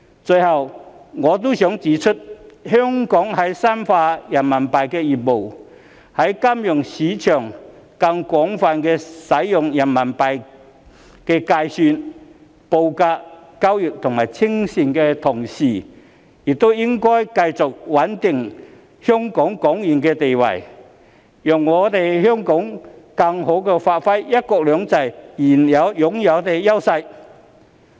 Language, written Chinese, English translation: Cantonese, 最後，我亦想指出香港在深化人民幣業務，在金融市場上更廣泛使用人民幣計算、報價、交易及清算的同時，也應該繼續穩定港元的地位，讓香港更好地發揮"一國兩制"擁有的優勢。, In closing I also wish to point out that while Hong Kong is striving to further develop its RMB business through promoting the wider use of RMB in the financial market in regard to denomination quotation trading and settlement we should also continue to stabilize the status of the Hong Kong dollar so that Hong Kong can better leverage the advantages of one country two systems